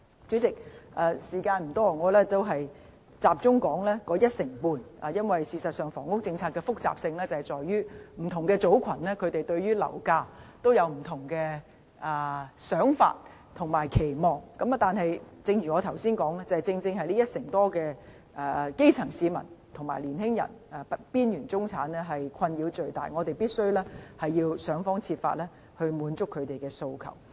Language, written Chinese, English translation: Cantonese, 主席，時間所限，我想集中討論這一成半住戶，因為房屋政策的複雜性其實在於不同組群對樓價有不同想法或期望，但正如我剛才所說，正正是這一成多基層市民、青年人和邊緣中產人士的困擾最大，我們必須想方設法滿足他們的訴求。, President given the time constraint I would like to focus on these 15 % of households . The housing problem is complicated because different groups have different ideas or expectation on property prices . But as I said a moment ago these 15 % of the grass roots young people and marginal middle class in our society are the ones most troubled by the problem